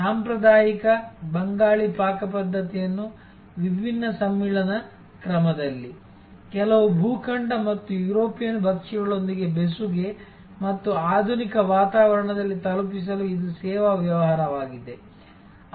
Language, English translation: Kannada, It is a service business for delivering traditional Bengali cuisine in different fusion mode, in a fusion with certain continental and European dishes and in very modern ambiance